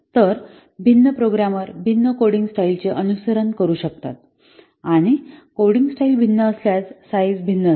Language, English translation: Marathi, So, different programmers can follow different coding styles